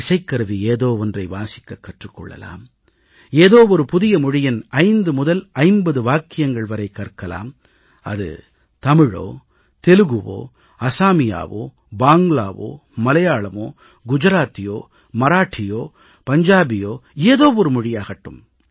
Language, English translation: Tamil, Learn a musical instrument or learn a few sentences of a new language, Tamil, Telugu, Assamese, Bengali, Malayalam, Gujarati, Marathi or Punjabi